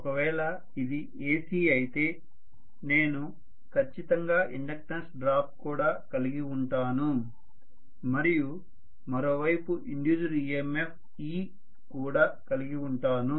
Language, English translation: Telugu, If it is AC I am going to have definitely an inductance drop also and there will be an induced EMF e on the other side, that is the induced EMF